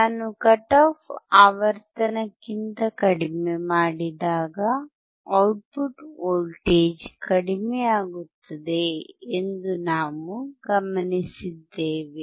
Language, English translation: Kannada, We observed that the output voltage decreases when we come below the cut off frequency